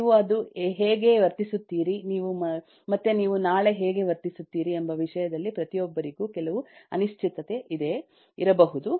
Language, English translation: Kannada, you may, everybody, have certain uncertainty in terms of how you will behave today and how you will behave tomorrow